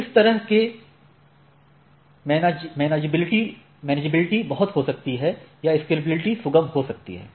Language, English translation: Hindi, So, in way in this way the manageability may be made much or scalability is facilitated